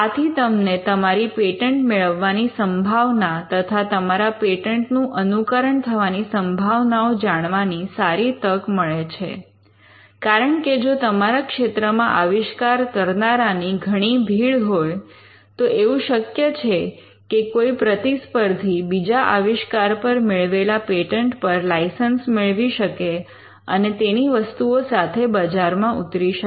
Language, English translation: Gujarati, Now this will give a fair chance of getting a patent or what are the chances of others imitating your invention, because if it is a crowded field then it is quite possible that a competitor could license another invention from and from another granted patent, and still be in the market with the product